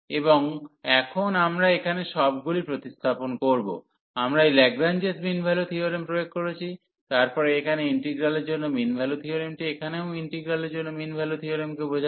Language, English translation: Bengali, And now we will replace all here we have applied this Lagrange mean value theorem, then the mean value theorem for integral here also mean value theorem for integral